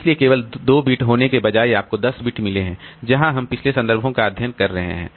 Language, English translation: Hindi, So instead of having only 2 bits, so you have got, say, 10 bits, so where we are storing the previous references